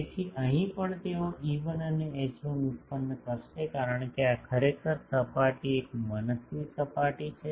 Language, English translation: Gujarati, So, here also they will be producing E1 H1, because this is actually this surface is an arbitrary surface